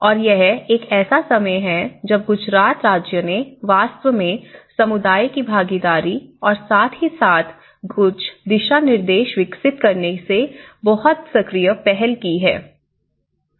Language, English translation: Hindi, And this is a time Gujarat state has actually taken a very active initiative of the community participation and as well as developing certain guidelines